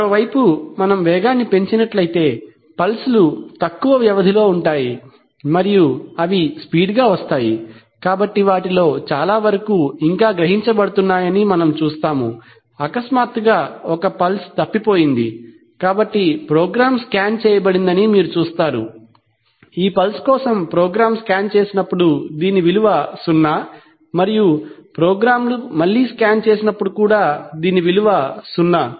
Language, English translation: Telugu, On the other hand if we increase the speed in which case the pulses will be of shorter duration and they will arrive faster, so we will see that most of them are being still being sensed, while suddenly one pulse is missed, so you see that the program was scanned, for this pulse the program when the program is candidate the value is zero and when the programs can did next the value was a gain zero